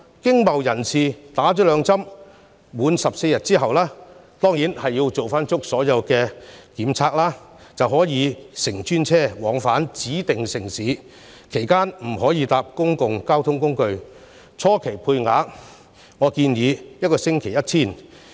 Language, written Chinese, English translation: Cantonese, 經貿人士接種兩劑疫苗，滿14天之後——當然要做足所有檢測——便可以乘專車往返指定城市，其間不可乘搭公共交通工具，初期配額建議每星期 1,000 個。, Business people can 14 days after they have had two doses of vaccine travel to and from the designated cities on designated vehicles after taking all necessary tests . They are not allowed to take public transportation during their stay . It is recommended that a weekly quota of 1 000 be given initially